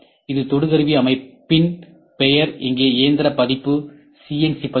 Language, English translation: Tamil, So, probing system this is the name of the probing system here machine version is CNC version